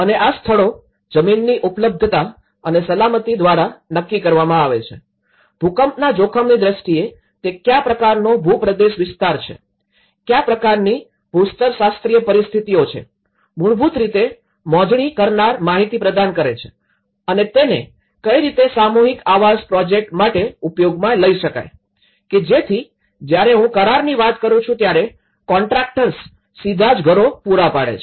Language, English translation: Gujarati, And these locations are determined by availability of land and safety, in terms of earthquake risk, it is a terrain area, is a what kind of geological conditions to exist so, basically the surveyors provide the information and that is how they decide on these mass development projects, so that is where a contract I mean, if contractors in this, they directly deliver the housing